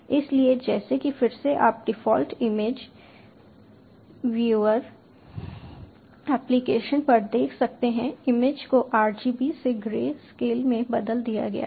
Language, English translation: Hindi, so, as you can see again on the default image doing application, the image has been converted to grey scale from rgb